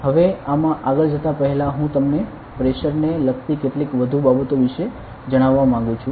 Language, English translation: Gujarati, Now before further more into this, I will like to tell you about some more things regarding pressure ok